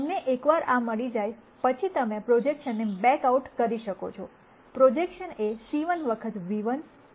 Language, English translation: Gujarati, Once you get this, then you can back out the projection and the projection is c 1 times nu 1 plus c 2 times nu 2